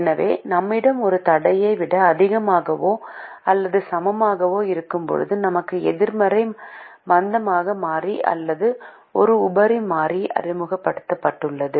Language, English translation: Tamil, so when we have a greater than or equal to constraint, we have a negative slack variable or surplus variable introduced